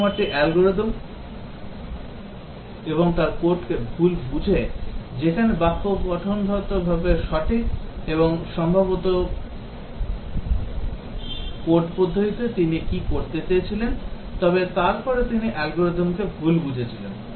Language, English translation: Bengali, The programmer misunderstood the algorithm and his code where syntactically correct, and also possibly the code way what really he wanted to do but then he had misunderstood the algorithm